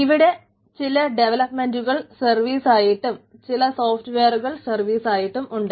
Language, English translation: Malayalam, over that some developers service and over that some software as a service